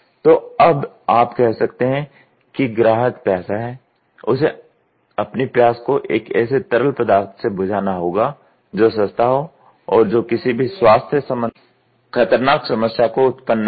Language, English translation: Hindi, So, you can you have to now say that the customer is thirsty, he needs to quench his thirst by a liquid which is cost effective and which does not induce any health hazardous problem